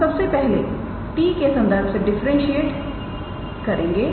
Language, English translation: Hindi, We will first do the differentiation with respect to t